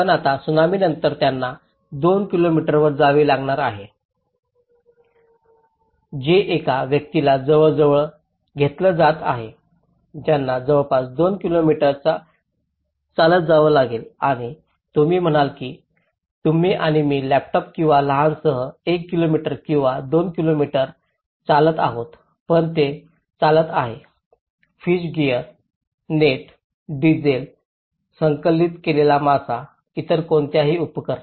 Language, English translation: Marathi, But now, after the tsunami they have to relocate to two kilometres which is almost taking a person has to walk almost 2 kilometres and you say you and me are walking with a laptop or a small with one kilometre or two kilometres but they are walking with a fish gear, net, diesel, the collected fish, any other equipments